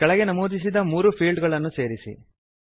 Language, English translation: Kannada, Include the following three fields